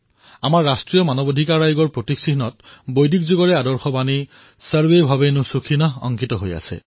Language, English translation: Assamese, In the emblem of our National Human Rights Commission, the ideal mantra harking back to Vedic period "SarveBhavantuSukhinah" is inscribed